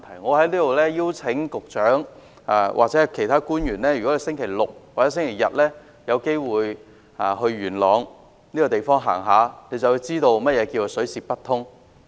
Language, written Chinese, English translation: Cantonese, 我在此邀請局長或其他官員在星期六日有機會到元朗走走，便會知道何謂水泄不通。, I would like to invite the Secretary or other public officers to pay a visit to Yuen Long at weekends if possible and they will know how it feels being stuck in a jam - packed place